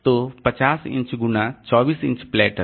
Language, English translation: Hindi, So, 50 into 24 inch platters